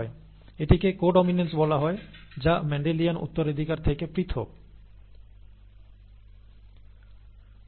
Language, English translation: Bengali, That is what is called co dominance which is again a difference from the Mendelian inheritance